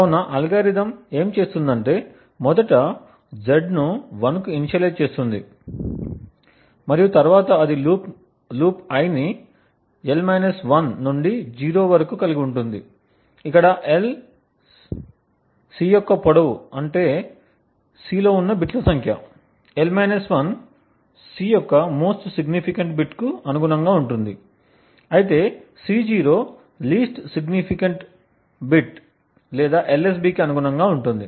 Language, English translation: Telugu, So the algorithm what it does is that it first initializes Z to a value of 1 and then it has a loop i ranging from l 1 down to 0, where l, is the length of C that is the number of bits present in C, l 1 corresponds to the most significant bit of C, while C0 corresponds to the least significant bit or the LSB